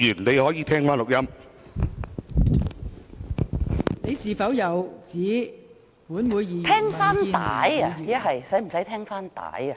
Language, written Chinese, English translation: Cantonese, 毛議員，你有否指本會議員或民建聯議員......, Ms MO did you say that Members of this Council or DAB Members